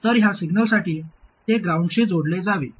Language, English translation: Marathi, So this has to get connected to ground for signals